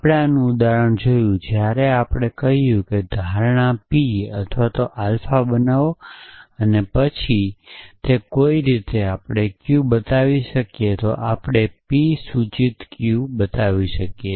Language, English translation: Gujarati, We saw an example of this when we said that make an assumption p or alpha and then it somehow we can show q then we can show p implies q